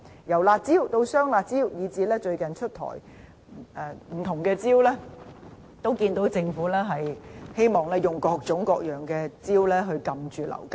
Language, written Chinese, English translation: Cantonese, 由"辣招"到"雙辣招"，以至最近出台的不同招數，在在看到政府希望用各種各樣的招數遏止樓價。, Measures have been introduced by the Government frequently ranging from the curb measures double curbs measures to the measures announced recently . It is clear that the Government has been trying all sorts of ways and means to curb property prices